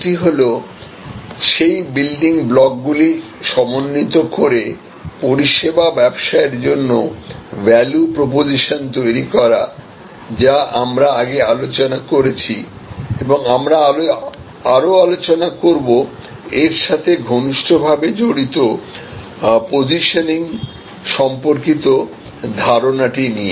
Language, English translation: Bengali, One is about creating the value proposition for a service business by combining those business or those building blocks that we have discussed earlier and we will discuss a very tightly related concept of positioning